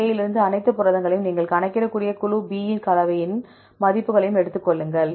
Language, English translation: Tamil, Take the all the proteins from group A and the values of group B composition you can calculate